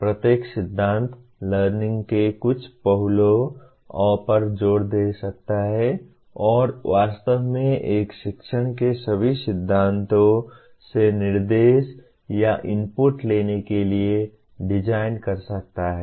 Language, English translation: Hindi, Each theory may emphasize certain aspect of learning and in fact one can design an instruction taking features or inputs from all the theories of learning